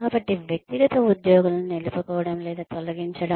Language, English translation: Telugu, So, retention or termination of individual employees